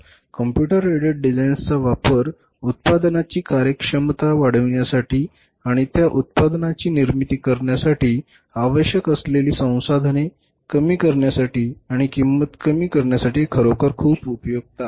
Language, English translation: Marathi, Computer aided designs are really very, very helpful to increase the efficiency of the product and minimize the resources required for manufacturing their product and lowering down the cost and the price